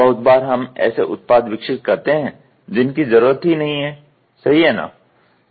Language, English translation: Hindi, Many a times we will develop products those products are not even required right